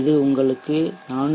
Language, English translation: Tamil, So if you are using 4 18